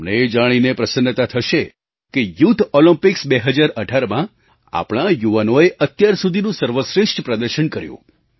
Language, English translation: Gujarati, You will be pleased to know that in the Summer Youth Olympics 2018, the performance of our youth was the best ever